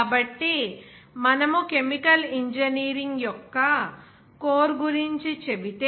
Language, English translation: Telugu, So, if we say about the core of chemical engineering